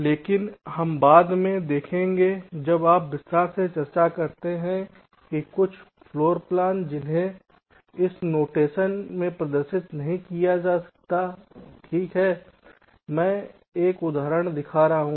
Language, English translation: Hindi, but we shall see later when you discuss in detail that there are certain floorplans which cannot be represented in this notation, right